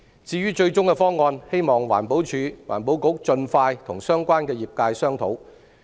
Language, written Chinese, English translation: Cantonese, 至於最終方案，希望環境保護署盡快與相關業界商討。, In regard to the final proposal I hope that the Environmental Protection Department can discuss with the sectors concerned without delay